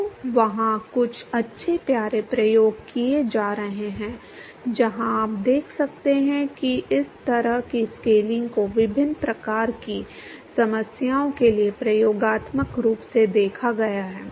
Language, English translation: Hindi, So, there are some nice cute experiments it is being performed where you can see this kind of scaling has been observed experimentally for different kinds of problems